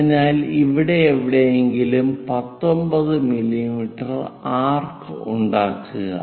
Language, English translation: Malayalam, So, make an arc of 19 mm somewhere here